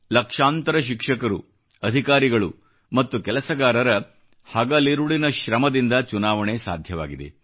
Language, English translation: Kannada, Lakhs of teachers, officers & staff strived day & night to make it possible